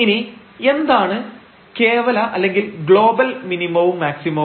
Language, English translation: Malayalam, So, what is the absolute or the global maximum minimum